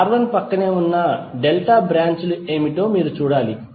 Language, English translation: Telugu, You have to simply see what are the delta branches adjacent to R1